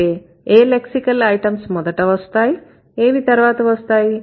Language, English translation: Telugu, So, which lexical item should come first, which should come later